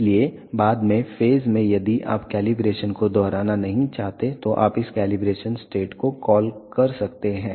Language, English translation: Hindi, So, at the later stage n if you do not want to repeat the calibration you can we call this calibration state